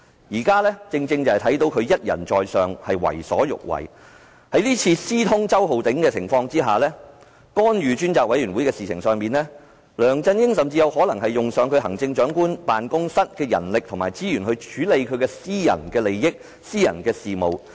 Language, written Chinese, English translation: Cantonese, 我們看到他一人在上，為所欲為。在這次私通周浩鼎議員，並干預專責委員會的事情上，梁振英甚至有可能動用行政長官辦公室的人力及資源，來處理其私人利益和私人事務。, In this incident where he conspired with Mr Holden CHOW and interfered with the work of the Select Committee he may have even used the manpower and resources of the Chief Executives Office to deal with his personal interests and personal affairs